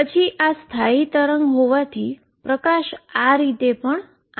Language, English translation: Gujarati, Then since this is the standing wave there is a light coming this way also